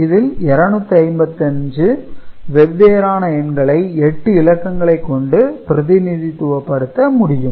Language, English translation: Tamil, So, 255 different numbers can be represented using 8 bits